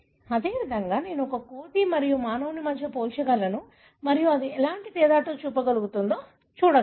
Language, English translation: Telugu, Likewise, I can compare between a monkey and the human and see what difference that makes